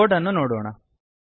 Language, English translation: Kannada, Lets look the code